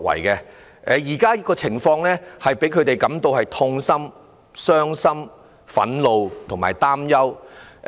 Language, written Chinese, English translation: Cantonese, 現時的情況令他們感到痛心、傷心、憤怒和擔憂。, The current situation leaves them feeling heartbroken upset angry and worried